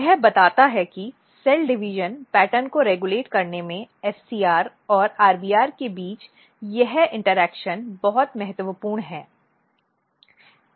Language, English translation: Hindi, So, this tells that this interaction between SCR and RBR is very important in regulating cell division pattern